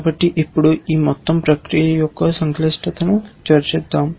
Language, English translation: Telugu, So, let us now discuss the complexity of this whole process